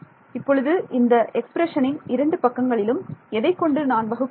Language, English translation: Tamil, Now I can divide this expression on both sides by